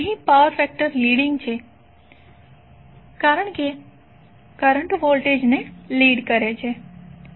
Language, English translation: Gujarati, Here power factor is leading because currently leads the voltage